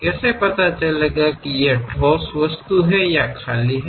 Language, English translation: Hindi, How to know, whether it is a solid object or a hollow one